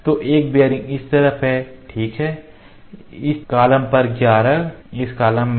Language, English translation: Hindi, So, one bearing is on this side ok, one on this column, 11 in this column